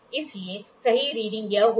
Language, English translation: Hindi, So, the corrected reading will be this